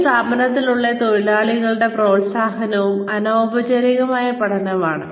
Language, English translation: Malayalam, The opportunities and encouragement, within an organization, constitute informal learning